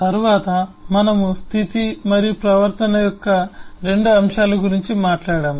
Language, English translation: Telugu, we have talked about 2 aspects of state and behavior